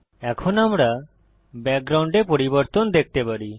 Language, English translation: Bengali, Now we can see the change in the background